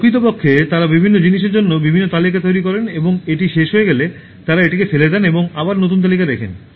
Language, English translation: Bengali, In fact, they make different lists for different things and once it is done, they throw it and write a new list